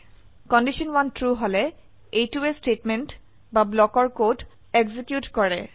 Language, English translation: Assamese, If condition 1 is true, it executes the statement or block code